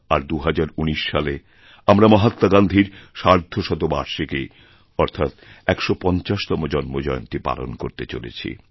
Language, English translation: Bengali, In 1969, we celebrated his birth centenary and in 2019 we are going to celebrate the 150th birth anniversary of Mahatma Gandhi